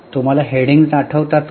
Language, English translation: Marathi, Do you remember the headings